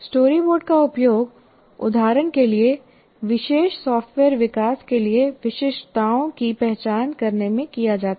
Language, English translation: Hindi, So, story board is used, for example, in software development as part of identifying the specifications for a particular software